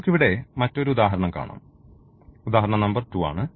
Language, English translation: Malayalam, Another example which we can look here, so this is the example number 2